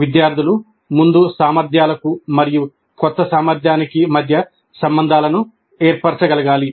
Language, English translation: Telugu, Students must be able to form links between prior competencies and the new competency